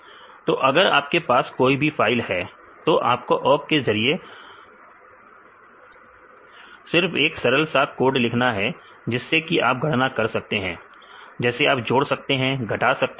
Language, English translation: Hindi, So, if you have any files you can write just one simple code with awk and you can do the calculations, you can add you can subtract right you can do anything